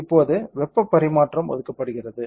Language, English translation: Tamil, There is heat transfer